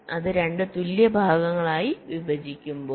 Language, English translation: Malayalam, so when it is divide into two equal parts